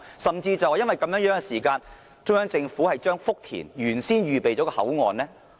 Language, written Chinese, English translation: Cantonese, 甚至基於這原因，中央政府將福田原先預備妥當的口岸剔除？, And is this even the reason for the Central Governments decision to remove the customs and immigration facilities which are already in place at Futian Station?